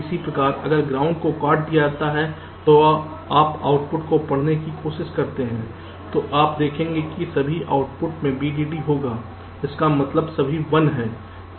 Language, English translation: Hindi, similarly, if ground is disconnected and you try to read out the outputs, you will see that all the outputs are having vdd